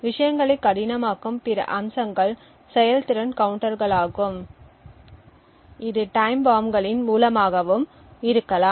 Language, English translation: Tamil, Other aspects which may make things difficult is the performance counters which may also be a source of time bombs